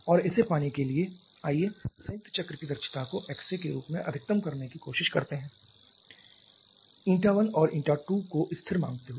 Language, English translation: Hindi, And to have that let us try to maximize this combined cycle efficiency in terms of this X A assuming Eta 1 and Eta 2 to be to be constant